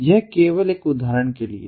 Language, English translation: Hindi, so this is an example